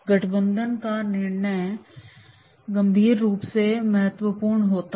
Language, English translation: Hindi, The alliance decision is critically important